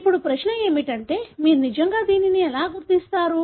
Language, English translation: Telugu, The question is how do you really identify